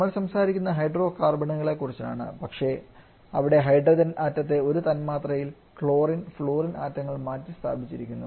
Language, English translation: Malayalam, We are talking about hydrocarbons only but there the hydrogen atom has been replaced in a molecules by chlorine and fluorine atoms